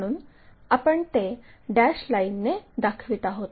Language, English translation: Marathi, So, we show it by dashed line